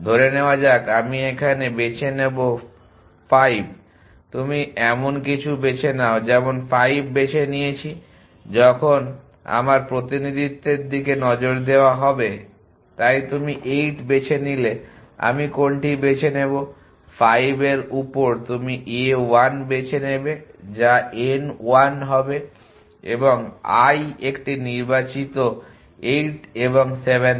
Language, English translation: Bengali, Let me say I choose you choose something I choose 5 when will be look at my representation so your choose on what 8 I choose 5 you will choose a 1 which will n1 that i to a chosen 8 and 7